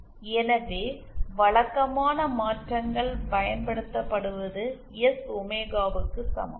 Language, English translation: Tamil, So, usual transformations that are used is S equal to J omega